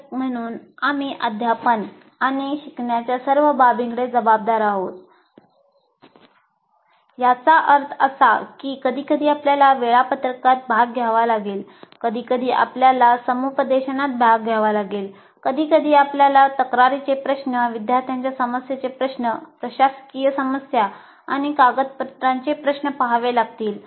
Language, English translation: Marathi, That means you have sometimes you have to participate in timetabling, sometimes you have to participate in counseling, sometimes you have to look at grievance issues, student problem issues and administrative issues and documentation issues